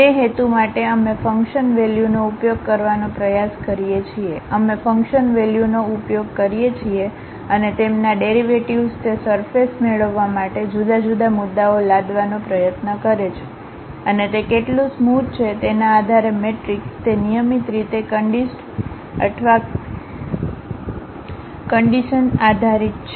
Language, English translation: Gujarati, For that purpose, we try to use the function values, we use the function values and also their derivatives try to impose it different points to get that surface and that matrix based on how smooth that is how regularly it is conditioned or ill conditioned based on that we will be going to construct these surfaces